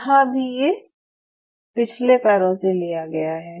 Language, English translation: Hindi, So, here also this is all from the hind limb, hind limb